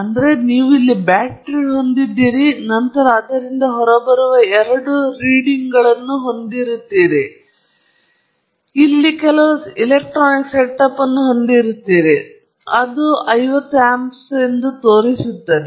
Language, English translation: Kannada, So, you have a battery here, and then you have two leads coming out of it, and then you have some electronic setup here, which shows you 50 amps right